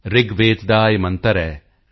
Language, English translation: Punjabi, There is a mantra in Rigved